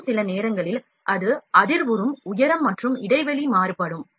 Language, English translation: Tamil, And, sometimes it will vibrate due to the height and gapping would vary